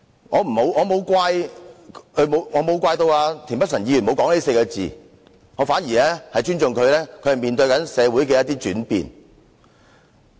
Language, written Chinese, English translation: Cantonese, 我不會怪責田北辰議員沒有說這4個字，我反而尊重他面對社會的轉變。, I do not blame Mr Michael TIEN for not mentioning these words on the contrary I respect him for facing the changes in society